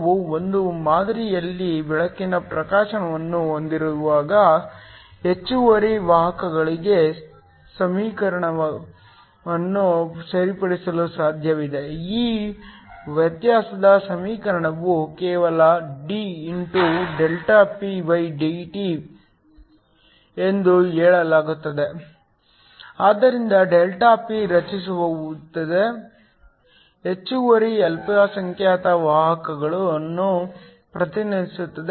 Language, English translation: Kannada, So when we have light illuminating on a sample, it is possible to right an equation for the excess carriers this differential equation just says dPdt, so ΔP represents the excess minority carriers that are created